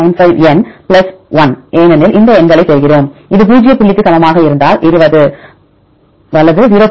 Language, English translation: Tamil, 95n + 1) because we get derive these numbers, and if this is equal to zero point this one if you divided by 20 right 0